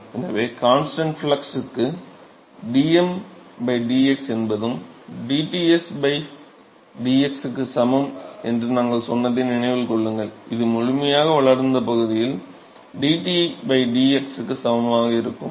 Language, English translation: Tamil, So, remember we said that for constant flux case dTm by dx is also equal to dTs by dx that is also equal to dT by dx in the fully developed region right